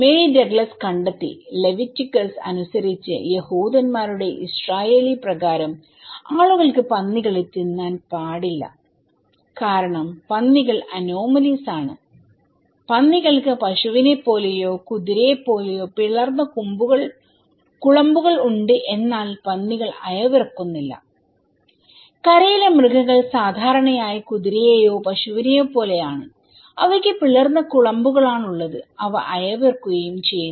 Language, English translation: Malayalam, Mary Douglas found that according to the Leviticus, according to the Jews Israeli, people cannot eat pigs because pig is; pigs are anomalies, like pigs have cloven hooves like cow or horse but they do not chew the cud like other cloven hooves as land animals generally do like horse or cow they have cloven hooves and they do chew cud